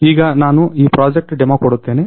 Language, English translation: Kannada, Now, I will give the demo about this project